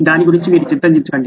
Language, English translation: Telugu, Don’t worry about it